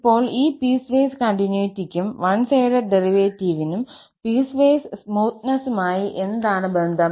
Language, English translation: Malayalam, Now, what is the connection between this piecewise continuity and one sided derivative to the piecewise smoothness